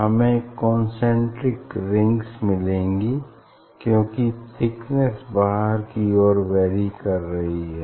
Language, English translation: Hindi, we will get here concentric rings because here thickness is varying